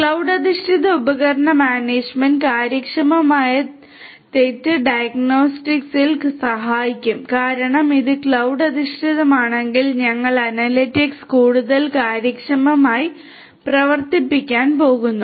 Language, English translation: Malayalam, Cloud based device management will help in efficient fault diagnostics because if it is cloud based then we are going to run the analytics in a much more efficient manner right